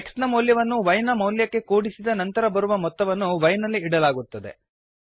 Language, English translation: Kannada, Here the value of x is added to the value of y